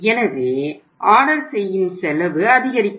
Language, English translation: Tamil, So the ordering cost will go up